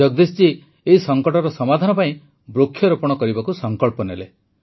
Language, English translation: Odia, Jagdish ji decided to solve the crisis through tree plantation